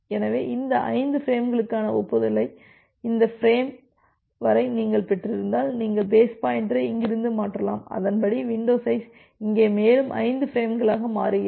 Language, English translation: Tamil, So, if you received the acknowledgement for these 5 frames up to this frame then, you can shift the base pointer from here to here and accordingly the window size becomes here to 5 more frames up to here